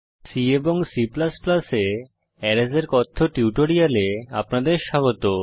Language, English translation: Bengali, Welcome to the spoken tutorial on Arrays in C and C++